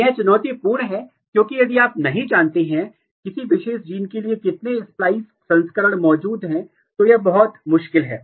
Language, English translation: Hindi, So, it was very challenging because if you do not know, how many splice variant exists for a particular gene, it is very difficult